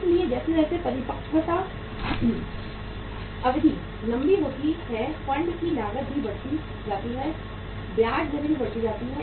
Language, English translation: Hindi, So as the maturity period gets longer the cost of the funds also increase, the interest rates also increase